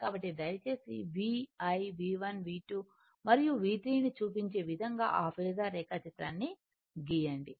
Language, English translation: Telugu, So, please draw phasor showing V showing VI V1 V2 and V3 everything right